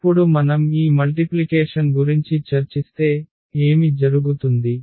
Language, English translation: Telugu, And now if we discuss this multiplication, so, what will happen